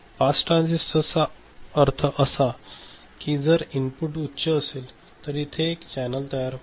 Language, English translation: Marathi, Pass transistor means; if the input is high then we have a channel getting formed